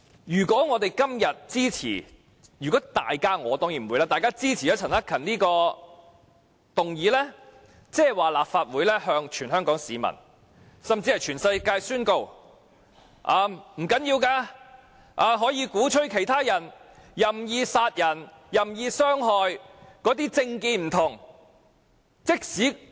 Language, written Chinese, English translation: Cantonese, 如果大家今天支持——我則一定不會支持——陳克勤議員提出的議案，便意味立法會向全港市民以至全世界宣告：這並不打緊，我們可以鼓吹其他人任意殺人和任意傷害不同政見人士。, If Members give their support―but I will definitely not do so―to this motion moved by Mr CHAN Hak - kan today it will imply that the Legislative Council is announcing to all people in Hong Kong and even in the world that it is perfectly fine for us to advocate indiscriminate killing and hurting people with different political views